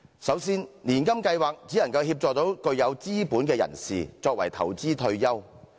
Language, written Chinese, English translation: Cantonese, 首先，年金計劃只能協助具有資本的人士，作為投資退休。, This is such a regression as first of all an annuity scheme can only help those who possess capital to invest for their retired lives